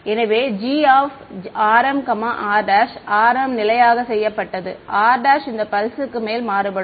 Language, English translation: Tamil, So, g r m is fixed r prime is varying over this pulse